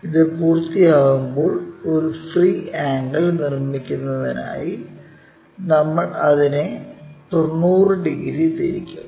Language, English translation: Malayalam, When it is done we rotate it by 90 degrees all the way to construct free angle